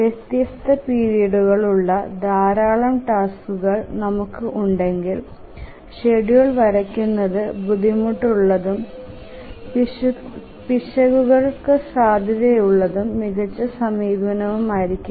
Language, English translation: Malayalam, But if we have a large number of tasks with different periods, drawing the schedule is cumbersome, prone to errors and this may not be the best approach